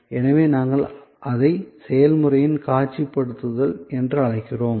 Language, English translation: Tamil, So, we call it visualization of the process